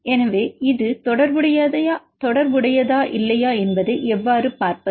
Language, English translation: Tamil, So, how to see whether it is related or not